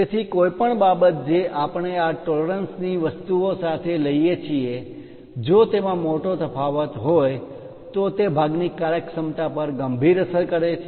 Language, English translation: Gujarati, So, any object whatever you take with these tolerance things, if there is a large variation it severely affects functionality of the part